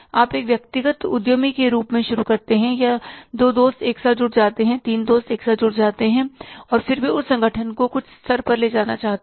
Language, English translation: Hindi, Means when you set up the company, the organization for the first time, you start as an individual entrepreneur or two friends can join together, three friends can join together, and then they want to take that organization to a some level